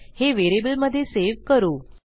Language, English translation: Marathi, Let me just save this to a variable